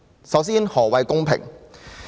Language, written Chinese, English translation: Cantonese, 首先，何謂公平？, First of all what is equality?